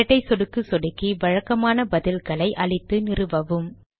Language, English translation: Tamil, Double click it and install it, default answers are acceptable